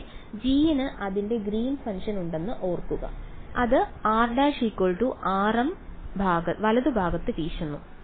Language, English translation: Malayalam, Remember that g over here has a its a Green's function, it blows up at r prime equal to r m right